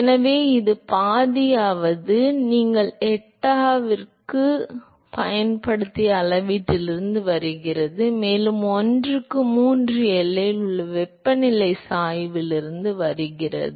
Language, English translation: Tamil, So, this half comes from the scaling that you used for eta, and 1 by 3 comes from the gradient of temperature at the boundary